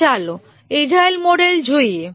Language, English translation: Gujarati, Now let's look at the agile models